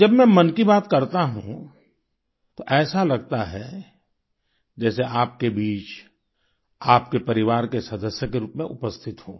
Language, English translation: Hindi, When I express Mann Ki Baat, it feels like I am present amongst you as a member of your family